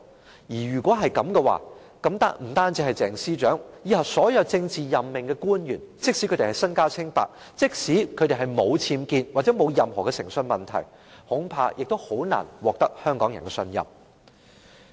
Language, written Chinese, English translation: Cantonese, 若然如此，不單是鄭司長，往後所有政治任命官員，即使身家清白，即使沒有僭建或誠信問題，恐怕亦難以獲得香港人的信任。, In that case not only Ms CHENG but also all future politically - appointed officials will hardly be able to win the trust of Hong Kong people even if they are clean even if they are free from any UBWs or integrity problems